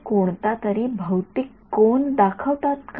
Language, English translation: Marathi, Do they correspond to any physical angle